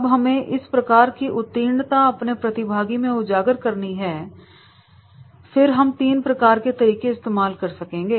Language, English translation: Hindi, Now, if we have to develop that particular type of the expertise amongst the participants, then we can use the three type of the methods